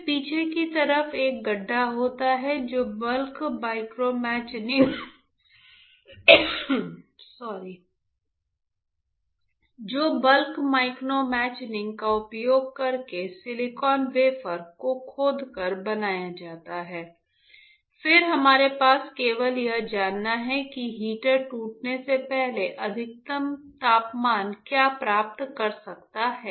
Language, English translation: Hindi, Then on the back side there is a pit that is created by etching the silicon wafer using bulk micromachining, then we have a we just want to know what is the maximum temperature the heater can achieve before it starts breaking